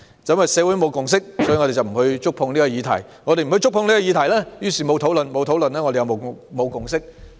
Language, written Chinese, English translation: Cantonese, 由於社會沒有共識，我們便不觸碰這項議題；我們不觸碰這項議題便沒有討論；我們沒有討論便沒有共識。, If the community does not have a consensus we will not touch upon this subject; if we do not touch upon this subject we will not have discussions; and if we do not have discussions we will not reach a consensus